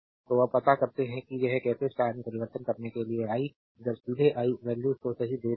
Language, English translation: Hindi, So, you can now you know how to convert it to star, I will now will directly I give the values right